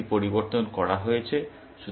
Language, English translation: Bengali, So, it is changed